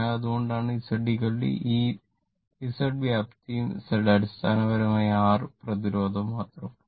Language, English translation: Malayalam, So, that is why Z is equal to this Z is the magnitude and Z is equal to basically R only resistance